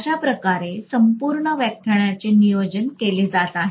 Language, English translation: Marathi, So that is the way the entire lecture is going to be planned, okay